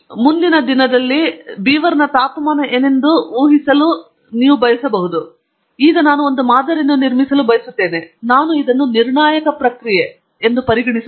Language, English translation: Kannada, Suppose, I want to predict what will be the temperature of the beaver the following day; I want build a model, should I treat this as a deterministic process